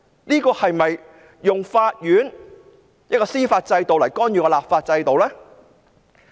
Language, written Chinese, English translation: Cantonese, 政府是否利用法院的司法制度來干預立法制度？, Is the Government using the Court under the judicial system to interfere in the legislative system?